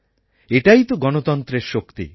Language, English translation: Bengali, This is the real power of democracy